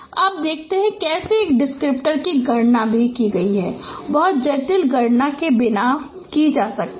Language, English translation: Hindi, Now let us see that how a descriptor also could be computed without much complex computation